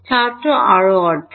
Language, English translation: Bengali, i plus half